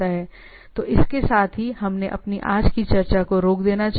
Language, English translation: Hindi, So, with this let us stop let us stop our today’s discussion